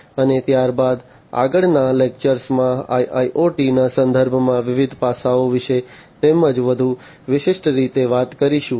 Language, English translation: Gujarati, And thereafter, in the next lecture about you know the different aspects in the context of IIoT as well more specifically